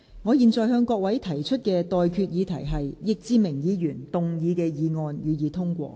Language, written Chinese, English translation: Cantonese, 我現在向各位提出的待決議題是：易志明議員動議的議案，予以通過。, I now put the question to you and that is That the motion moved by Mr Frankie YICK be passed